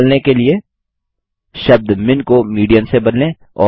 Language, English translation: Hindi, To find the median value, replace the term MIN with MEDIAN